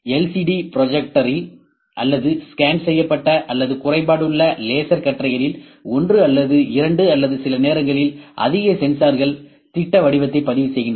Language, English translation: Tamil, Either in LCD projector or scanned or defective laser beams projects the light pattern one or two or a sometimes more sensors record the projective pattern